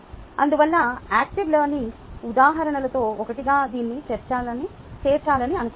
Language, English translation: Telugu, therefore, i thought i will include this as one of the examples of active learning